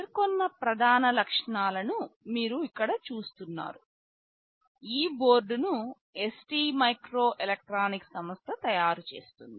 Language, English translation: Telugu, You see the main features that are mentioned here: this board is manufactured by a company ST microelectronics